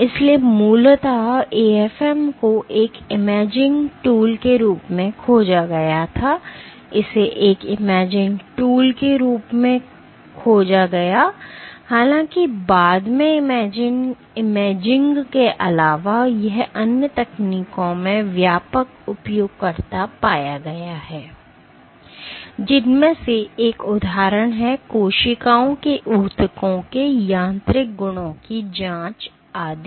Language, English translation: Hindi, So, originally AFM was discovered as an imaging tool, it was discovered as an imaging tool; however, in addition to imaging subsequently it has found wider users in other techniques, one of which is for example, probing mechanical properties of cells tissues etcetera ok